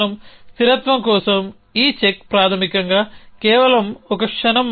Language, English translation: Telugu, This check for consistency is basically just a moment